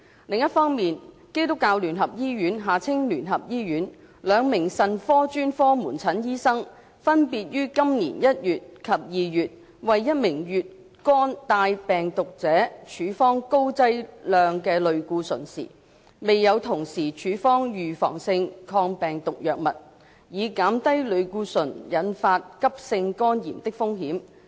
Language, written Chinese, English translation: Cantonese, 另一方面，基督教聯合醫院兩名腎科專科門診醫生分別於今年1月及2月為一名乙肝帶病毒者處方高劑量類固醇時，未有同時處方預防性抗病毒藥物，以減低類固醇引發急性肝炎的風險。, On the other hand when two doctors in the Renal Specialist Outpatient Clinic of the United Christian Hospital UCH provided high - dose steroid treatments to a hepatitis B HBV carrier in January and February this year respectively they did not concurrently prescribe antiviral prophylaxis to reduce the risk of acute hepatitis flare - up triggered by steroid treatments